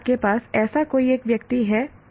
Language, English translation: Hindi, Do you have any one person like that